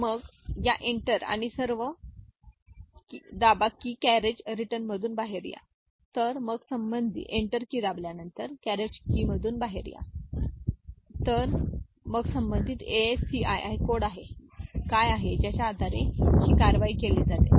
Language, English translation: Marathi, So, out of this say carriage return when we press Enter and all; so then what is the corresponding ASCII code based on which some action is taken